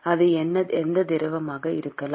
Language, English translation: Tamil, It could be any fluid